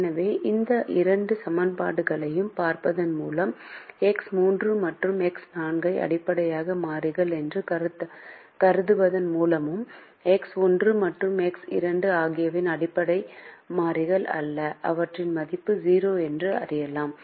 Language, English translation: Tamil, so by simply looking at these two equations, a very easy way to start is by treating x three and x four as basic variables, which means x one and x two are non basic variables and they have value zero